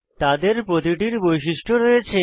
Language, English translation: Bengali, Each of them has properties and behavior